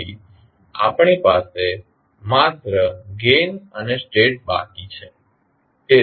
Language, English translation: Gujarati, So, we are left with the only gains and the states